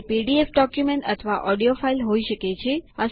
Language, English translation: Gujarati, It could be a PDF document or an audio file